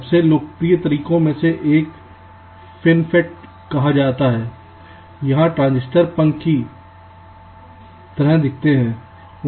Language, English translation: Hindi, so one of the most popular ways is called fin fet, where the transistors look like fins